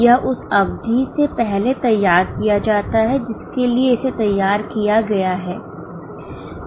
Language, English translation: Hindi, It is prepared prior to the period for which it is prepared